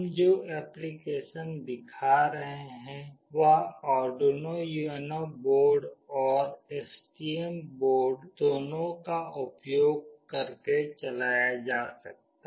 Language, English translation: Hindi, The applications that we will be showing can be run using both Arduino UNO board as well as STM board